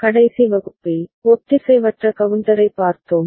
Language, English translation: Tamil, In the last class, we had seen asynchronous counter